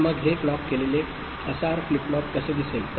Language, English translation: Marathi, So, then how this clocked SR flip flop would look like